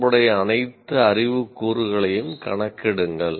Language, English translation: Tamil, You should enumerate all the relevant knowledge elements